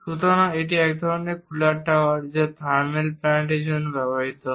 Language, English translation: Bengali, So, this is one kind of cooling tower utilized for thermal plants